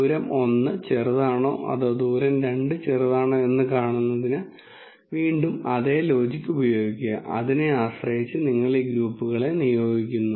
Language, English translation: Malayalam, And again use the same logic to see whether distance 1 is smaller or distance 2 smaller and depending on that you assign these groups